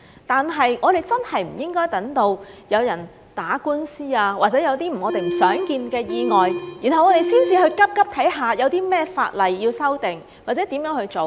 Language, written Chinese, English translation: Cantonese, 但是，我們真的不應該等到有人打官司，或者有些我們不想見的意外，才急忙看看有甚麼法例要修訂，或者如何做。, However we truly should not wait until somebody has taken this matter to court or some tragic accidents have happened before we rush to see what ordinances should be amended or what remedies should be made